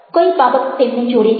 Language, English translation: Gujarati, what brings them together